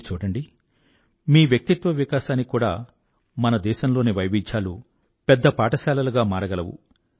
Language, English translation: Telugu, You may see for yourself, that for your inner development also, these diversities of our country work as a big teaching tool